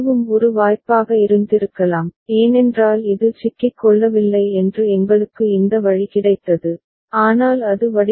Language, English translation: Tamil, That also could have been a possibility because we got this way that it is not getting trapped ok, but it was not by design; not by design right